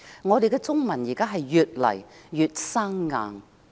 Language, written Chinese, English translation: Cantonese, 我們的中文越來越生硬。, Our Chinese is becoming increasingly clumsy